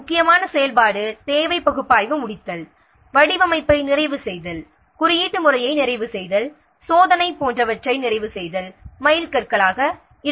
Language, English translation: Tamil, The important activity could be completion of requirement analysis, completion of design, completion of coding, completion of testing, etc